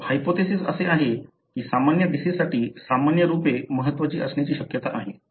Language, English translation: Marathi, So, the hypothesis is that the common variants likely to be important for common disease